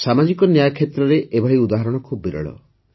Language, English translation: Odia, Such an example of social justice is rarely seen